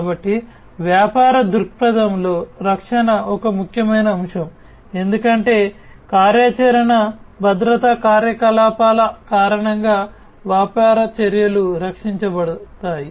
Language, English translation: Telugu, So, protection is an important factor in business perspective, because of the operational security operations the business actions are going to be protected